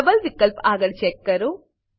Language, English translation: Gujarati, Check against double option